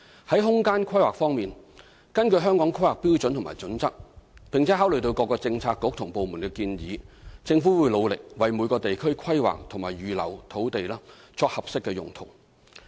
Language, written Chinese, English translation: Cantonese, 在空間規劃方面，根據《香港規劃標準與準則》，並考慮各政策局和部門的建議，政府會努力為每個地區規劃及預留土地作合適用途。, In terms of spatial planning the Government will through the Hong Kong Planning Standards and Guidelines and the suggestions from various Policy Bureaux and departments try its best to plan and reserve land for appropriate usage for each district